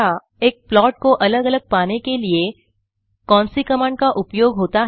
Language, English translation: Hindi, What command is used to get individual plots separately.